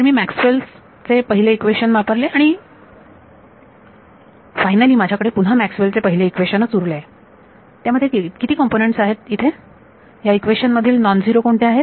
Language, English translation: Marathi, So, I have used the first Maxwell’s equation and finally, what is left is the first Maxwell’s equation; In that, how many components are there which are non zero in this equation